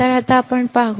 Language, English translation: Marathi, So, now let us see